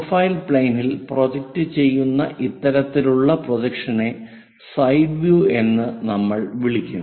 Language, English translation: Malayalam, This kind of projection what we will call side view projected on to profile plane